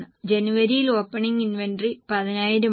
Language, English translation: Malayalam, Opening is a January inventory which is 10,000